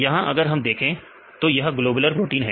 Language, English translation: Hindi, Here if we see this is the globular protein